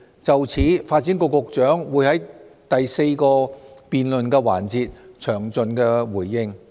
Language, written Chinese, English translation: Cantonese, 就此，發展局局長會在第四個辯論環節詳盡回應。, In this connection the Secretary for Development will give a detailed response in the fourth debate session